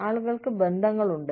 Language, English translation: Malayalam, People have connections